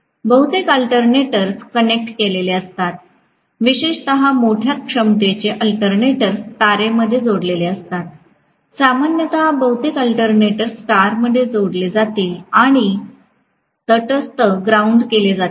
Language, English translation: Marathi, Most of the alternators are connected especially large capacity alternators are connected in star, generally, most of the alternators will be connected in star and the neutral will be grounded